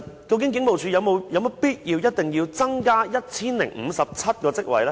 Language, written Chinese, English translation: Cantonese, 究竟警務處是否有必要增加 1,057 個職位呢？, Is it not necessary for the Police Force to give an account on these additional 1 057 posts?